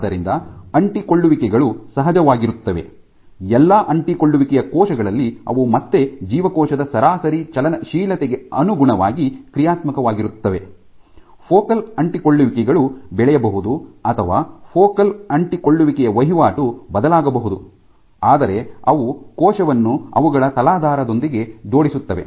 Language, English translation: Kannada, So, adhesions are of course, present in all adherence cells again they are dynamic depending on the average motility of the cell, the focal adhesions might grow or the turnover focal adhesions might vary, but they are the ones which link the cell with the substrate